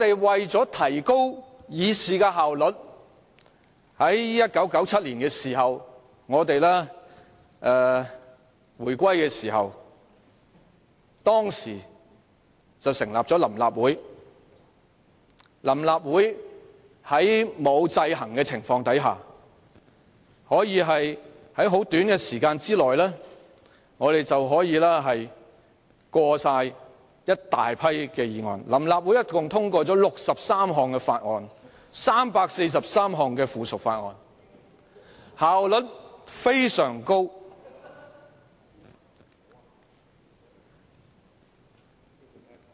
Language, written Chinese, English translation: Cantonese, 為提高議事效率，臨時立法會在1997年回歸時成立，並在沒有制衡的情況下在短時間內通過多項議案，又通過了63項法案、343項附屬法例，效率非常高。, In order to enhance efficiency of conducting businesses of the legislature the Provisional Legislative Council was set up at the time of reunification in 1997 and passed a number of motions 63 bills and 343 pieces of subsidiary legislation in a short time in the absence of checks and balances demonstrating high efficiency